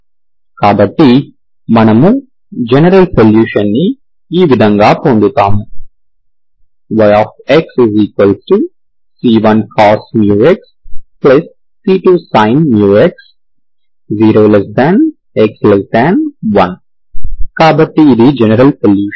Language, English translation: Telugu, So we will get general solution, general solution y x is c1 cos mu x plus c2 sin mu x, so this is the general solution